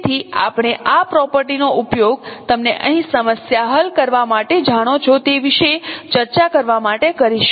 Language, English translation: Gujarati, So we will be using this property to discuss about, no, to solve a problem here